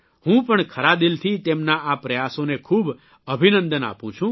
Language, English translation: Gujarati, I heartily congratulate his efforts, for his inspirational work